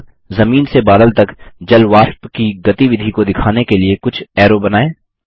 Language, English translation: Hindi, Next, let us draw some arrows to show the movement of water vapour from the ground to the cloud